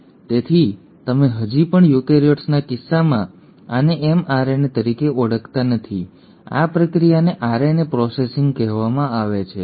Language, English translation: Gujarati, Now this process; so you still do not call this as an mRNA in case of eukaryotes; this process is called as RNA processing